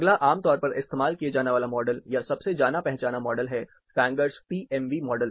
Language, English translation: Hindi, The next commonly used model or most familiar model rather is, the Fangers PMB model